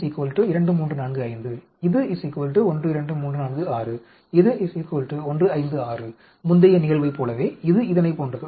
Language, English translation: Tamil, I is equal to 2345 which is equal to 12346 which is equal to 156 just like in this previous case, it is like this